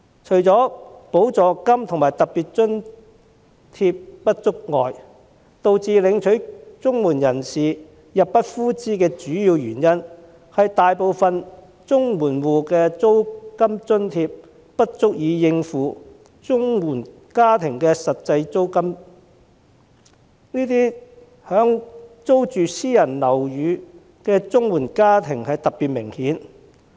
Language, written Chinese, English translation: Cantonese, 除了補助金及特別津貼不足外，綜援申領人入不敷支的主要原因，是租金津貼大多不足以應付實際租金，這問題以租住私人樓宇的綜援申領家庭特別明顯。, Apart from the inadequate amounts of supplements and special grants the main reason for CSSA recipients failing to make ends meet is that the rent allowance mostly fall short of the actual rent paid . Such a problem is particularly obvious among CSSA recipient families renting private housing